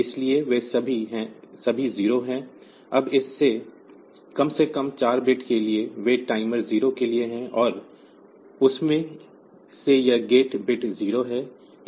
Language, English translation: Hindi, So, they are all 0, now for this least significant 4 bit so, they are for timer 0, and out of that this gate bit is 0